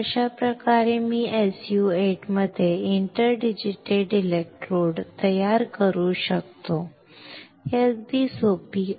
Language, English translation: Marathi, So, this is how I can create an interdigitated electrodes within SU 8 well, easy